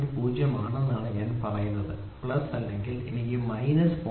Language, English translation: Malayalam, 0 I say plus that is all or I can say plus minus 0